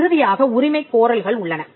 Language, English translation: Tamil, And finally, you have the claim